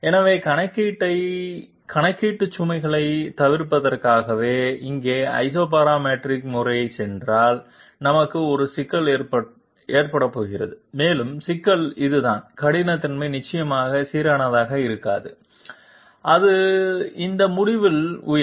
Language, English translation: Tamil, So just for the sake of avoiding computational load, if we go for Isoparametric method here we are going to have a problem, and the problem is this that the roughness will definitely not be uniform and it will shoot up at this end